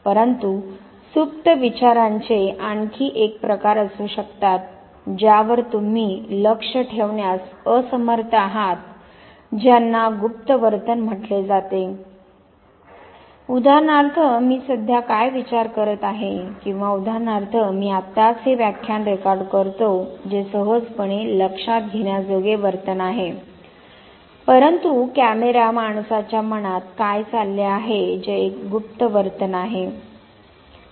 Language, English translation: Marathi, But there could be another type of latent thinking going on which you are not able to observe those are called covert behavior, for instance what I am I thinking right now or for instance when I am right now recording this lecture which is readily observable behavior, an overt behavior what is going on in the mind of the camera man who stands behind the camera that is the covert behavior